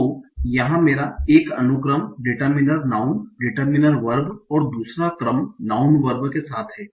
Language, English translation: Hindi, So here I have one sequence, determine a noun, determine a verb, and second sequence with noun work